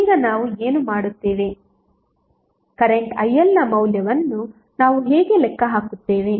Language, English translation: Kannada, Now what we will, how we will calculate the value of current IL